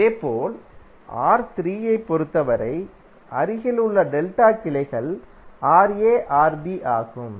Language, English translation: Tamil, Similarly for R3, the adjacent delta branches are Rb Ra